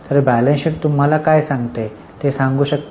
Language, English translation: Marathi, So, can you tell what does the balance sheet tell you